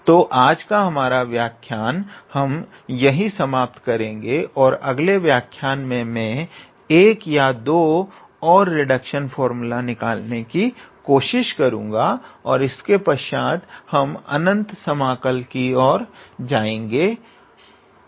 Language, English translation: Hindi, So, we will stop today’s lecture here and in the next lecture I will try to derive 1 or 2 more reduction formulas and afterwards we will move to the improper integral